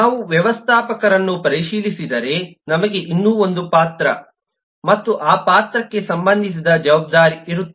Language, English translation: Kannada, if we look into the manager, we have yet one more role and the associated responsibility for that role